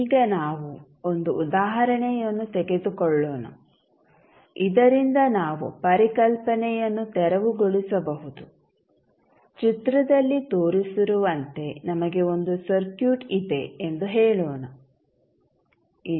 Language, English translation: Kannada, Now, let us take one example so that we can clear the concept, let say we have one circuit as shown in the figure, here one inductor of 0